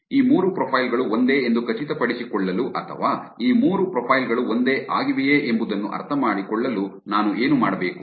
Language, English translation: Kannada, What do I need to do to make sure that these three profiles are same or to understand that whether these three profiles are same